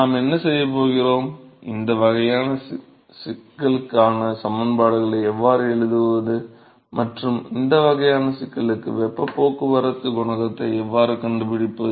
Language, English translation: Tamil, So, therefore, what we are going to see: how to write the equations for this kind of a problem and how to find heat transport coefficient for this kind of a problem